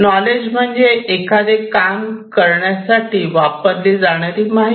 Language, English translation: Marathi, So, knowledge is that information that can be used to perform a particular task